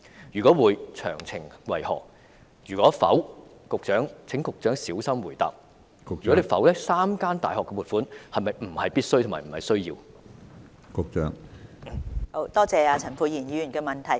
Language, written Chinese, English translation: Cantonese, 若會，詳情為何；若否——請局長小心回答 ——3 間大學的撥款是否並非必需，而是沒有需要的？, If so what are the details; if not―Secretary please answer carefully―are the funding proposals for the three universities non - essential and unnecessary?